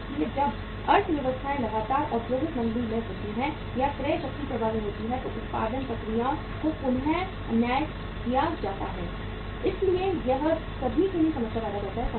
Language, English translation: Hindi, So when the economies are in the in the persistent industrial recession or the purchasing power is affected, production processes are readjusted so ultimately it creates the problem for all